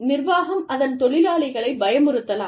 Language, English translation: Tamil, The organization, may threaten the employees